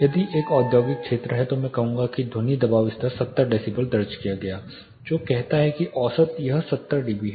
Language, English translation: Hindi, Say if it is a industrial area I will say that sound pressure level recorded was 70 decibel which says that average it is 70 dB